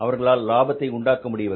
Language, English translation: Tamil, They are not making profits